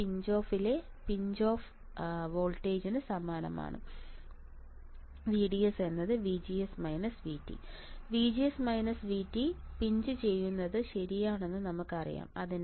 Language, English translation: Malayalam, This is similar condition right in pinch off voltage in pinch off VDS is VGS minus V T we know that right in pinch off VGS minus V T